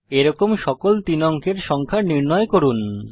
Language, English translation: Bengali, Find all such 3 digit numbers